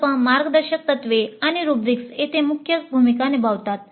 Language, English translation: Marathi, Project guidelines and rubrics play the key roles here